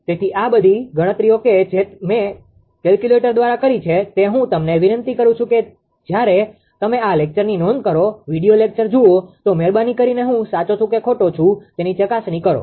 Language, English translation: Gujarati, So, all this calculations whatever I made by calculator I request you when you will go through this lecture note, read your lecture anything, you have please verify whether I am right or wrong